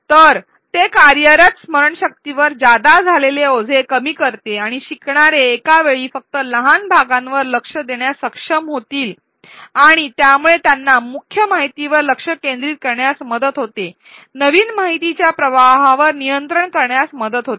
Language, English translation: Marathi, So, it avoids overloading working memory and learners are able to pay attention only to small chunks at a time and this gives them control over the flow of new information it also helps them focus attention on the key points